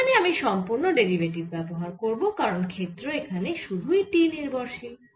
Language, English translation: Bengali, and i am using a total derivative here because this thing is not the function of t only now we have to calculate